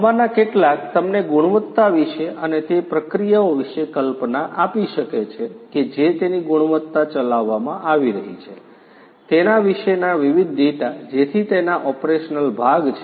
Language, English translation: Gujarati, Some of this could give you idea about the quality and the processes that are being conducted the quality of it you know getting different, different data about those so the operational part of it